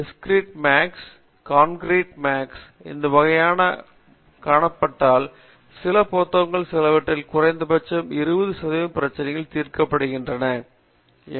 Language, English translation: Tamil, These type of Discrete Mathematics and Concrete Mathematics if people look in to it just solve at least 20 percent of the problems in some of the standard book there that will give them the organization of ideas